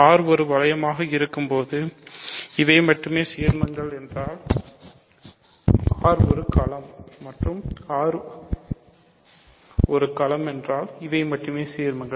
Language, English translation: Tamil, So, if R happens to be a ring in which these are the only ideals then R is a field and if R is a field these are the only ideals ok